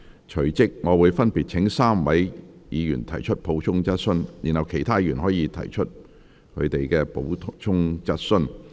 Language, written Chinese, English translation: Cantonese, 隨即我會分別請該3位議員提出補充質詢，然後其他議員可提出補充質詢。, I will forthwith invite the three Members to ask supplementary questions and then other Members may ask supplementary questions